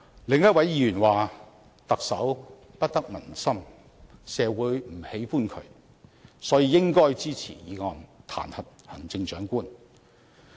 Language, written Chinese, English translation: Cantonese, 另一位議員說特首不得民心，社會不喜歡他，所以應該支持議案，彈劾行政長官。, Another Member said that as the Chief Executive was unpopular and members of the public disliked him the motion to impeach him should be supported